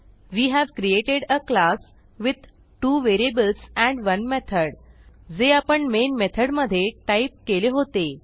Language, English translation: Marathi, We get the output as: We have created a class with 2 variables and 1 method just as we had typed in the main method